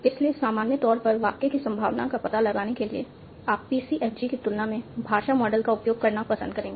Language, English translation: Hindi, So in general, to find the probability of the sentence, you would prefer to use language model than a PCFG